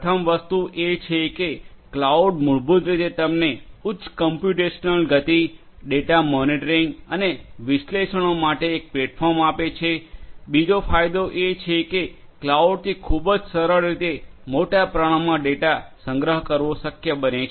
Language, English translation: Gujarati, The first thing is that cloud basically gives you a platform for high computational speed, for data monitoring and analytics; second benefit is storage of large volumes of data is possible with cloud in a very simplest manner